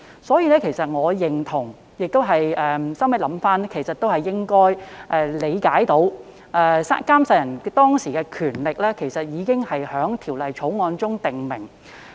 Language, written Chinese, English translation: Cantonese, 因此，我回想後亦認同，《條例草案》可以這樣理解，監誓人在監誓當時的權力已在《條例草案》中訂明。, I concur with hindsight that the Bill can be construed as having specified the powers of oath administrator at the time of administering the oath